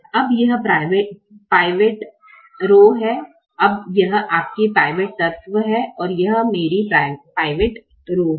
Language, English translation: Hindi, now this is your pivot element and this is my pivot rho